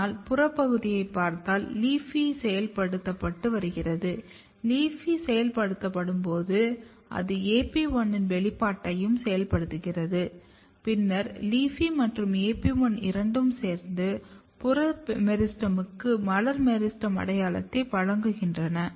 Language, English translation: Tamil, But if you look the peripheral region just here in the peripheral region your LEAFY is getting activated and when LEAFY is getting activated, LEAFY also activates the expression of AP1 and then both LEAFY and AP1 together basically specify or provide identity, floral meristem identity to the peripheral meristem